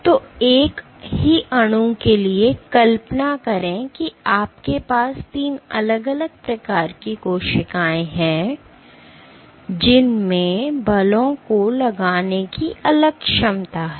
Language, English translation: Hindi, So, for the same molecule imagine you have 3 different types of cells, which have different capability to exert forces